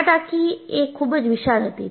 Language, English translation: Gujarati, And, the tank was very huge